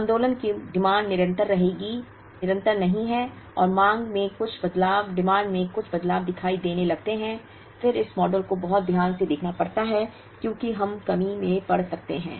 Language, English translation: Hindi, The movement the demand is not continuous and the demand start showing some variations, then this model has to be very carefully looked at, because we may get into shortage